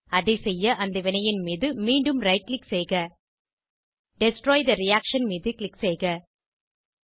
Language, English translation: Tamil, To do so, right click on the reaction again Click on Destroy the reaction